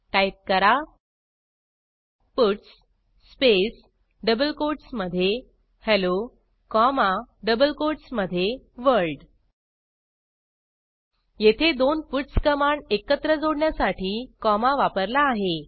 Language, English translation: Marathi, Type puts space within double quotes Hello comma within double quotes World Here comma is used to join the two puts command together